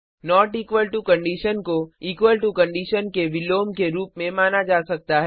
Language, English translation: Hindi, The not equal to condition can be thought of as opposite of equal to condition